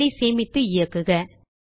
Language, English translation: Tamil, Now, save and run this file